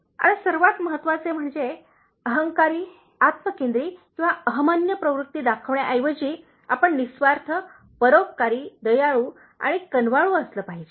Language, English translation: Marathi, Now the topmost one, instead of being egoistic, egocentric or showing egotistic tendency, you should be selfless, compassionate, kind and considerate